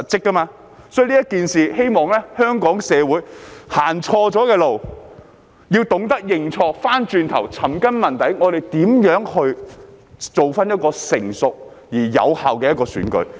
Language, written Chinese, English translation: Cantonese, 在這件事情上，我希望香港社會，走錯了路，要懂得認錯，要轉回頭，尋根問底，我們如何建立一個成熟而有效的選舉。, In this incident Hong Kong society has gone astray and I hope it will learn to admit its mistakes and turn back . It should identify the roots of the problem and find out how we can establish a mature and effective election